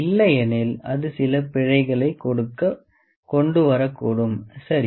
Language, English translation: Tamil, Otherwise it might bring some errors, ok